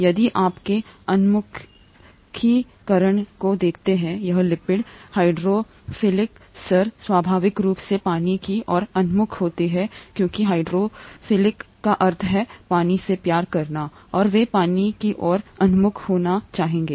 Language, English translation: Hindi, If you look at the orientation of the lipids here, the hydrophilic heads are oriented towards water naturally because the hydrophilic means water loving and they would like to be oriented towards water